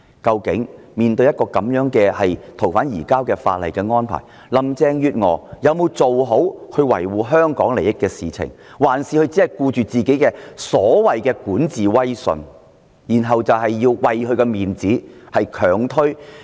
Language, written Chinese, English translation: Cantonese, 究竟面對這樣的移交逃犯安排，林鄭月娥有否維護香港利益，還是只顧她的管治威信，為了自己的顏面而強推根本無人受惠的法例修訂？, Has Carrie LAM defended the interests of Hong Kong when she deals with such surrender arrangements? . Or has she focused only on the creditability of her governance and on saving her face when she presses ahead with this legislative amendment that benefits no one?